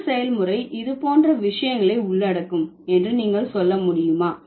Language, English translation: Tamil, So, can you tell me which process would include such kind of things